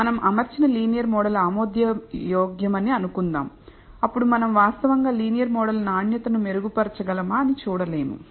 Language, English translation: Telugu, Suppose, the linear model that we fit is acceptable then we would not actually see whether we can improve the quality of the linear model